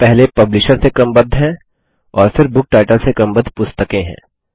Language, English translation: Hindi, Here are the books, first sorted by Publisher and then by book title